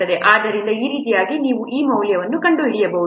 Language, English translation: Kannada, So like this you can find out these values